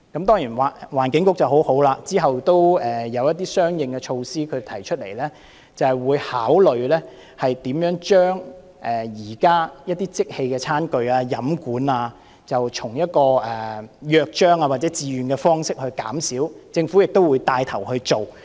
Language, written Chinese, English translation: Cantonese, 當然，環境局很好，之後提出了一些相應措施，表示會考慮如何將一些即棄餐具、飲管以約章或自願方式減少，政府亦會帶頭去做。, Of course the Environment Bureau was responsive and introduced some corresponding measures afterwards . It has indicated that it will consider how the use of disposable tableware and drinking straws can be reduced by launching a charter signing campaign or on a voluntary basis and the Government will also take the lead